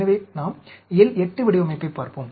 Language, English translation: Tamil, So, let us look at L 8 design